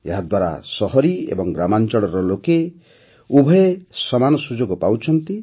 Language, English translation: Odia, This provides equal opportunities to both urban and rural people